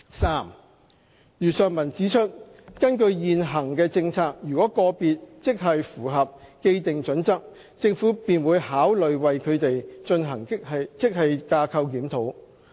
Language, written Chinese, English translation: Cantonese, 三如上文指出，根據現行政策，如個別職系符合既定準則，政府便會考慮為他們進行職系架構檢討。, 3 As mentioned above according to the existing policy the Government will consider conducting GSR for individual grades if they meet the established criteria